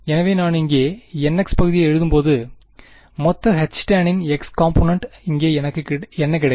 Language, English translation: Tamil, So, when I write down the n x part over here, the x component of the total H tan over here, what do I get